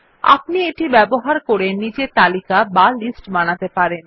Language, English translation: Bengali, It also enables the user to create his own lists